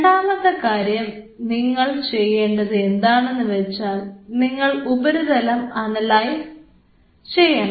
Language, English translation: Malayalam, Second thing what you can do to analyze the surface